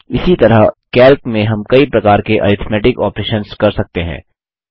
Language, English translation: Hindi, Similarly, we can perform various arithmetic operations in Calc